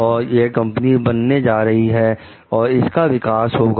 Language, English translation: Hindi, And this company going to; company will be developed